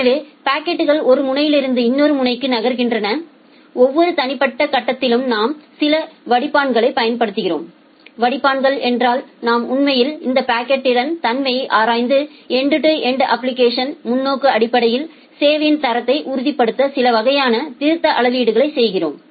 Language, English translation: Tamil, So, the packets are moving from one end into another end and at every individual step we are applying certain filters, filters means we are actually looking into the property of this packet and taking certain kind of corrective measurement to ensure quality of service in the end to end application perspective